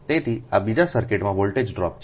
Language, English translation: Gujarati, so this is the voltage drop in the second circuit